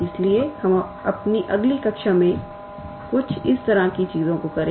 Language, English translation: Hindi, So, we will do such things in our next class and